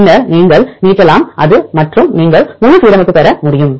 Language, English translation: Tamil, Then you can extend it and you can get for the full alignment